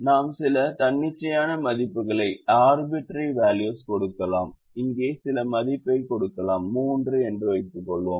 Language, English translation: Tamil, we can give some value here, let's say three, and we can give another value here, let's say five